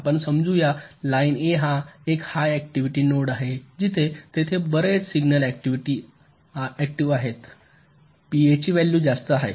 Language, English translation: Marathi, lets assume that this line a is a high activity node, where there is lot of signal activities, the value of p a is higher